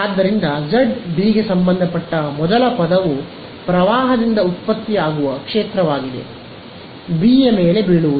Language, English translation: Kannada, So, z belonging to B first term is the field produced by the current in A falling on B right